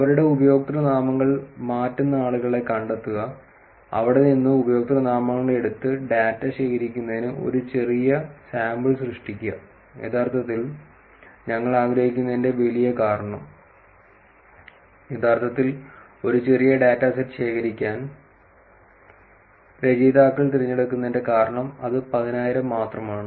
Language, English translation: Malayalam, The idea is to find out people who are changing their usernames and from their take the usernames and create a small sample to collect data, and the big reason why we want to actually, the reason why authors actually choose to collect a smaller data set of only 10,000 is that